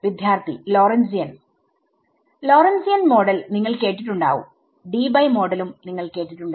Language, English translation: Malayalam, Lorentzian You have heard of Lorentzian models, you heard of Debye models